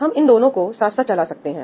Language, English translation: Hindi, Right, we could do both of these in parallel